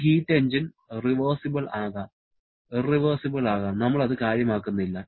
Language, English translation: Malayalam, This heat engine can be reversible, can be irreversible, we do not care